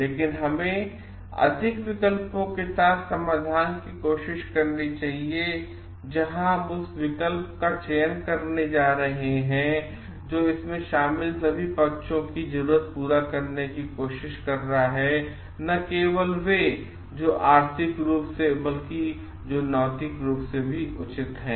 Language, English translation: Hindi, But we should try to come up with solutions which with more options; where we are going to select that one which is trying to meet the need of all the parties involved and not only those who are financially but like ethically well